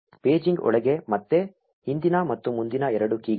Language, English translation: Kannada, Inside the paging there are again two keys previous and next